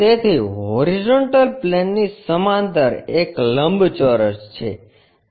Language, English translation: Gujarati, So, a rectangle parallel to horizontal plane